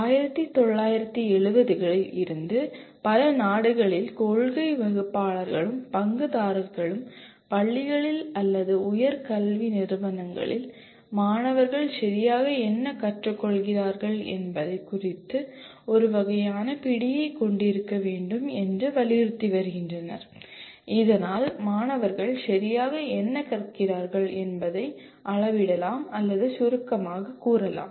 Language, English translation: Tamil, Policy makers and stakeholders in several countries since 1970s have been emphasizing to have a kind of a grip on what exactly are the students learning in schools or in higher education institutions so that one can kind of quantify or kind of summarize what exactly the students are learning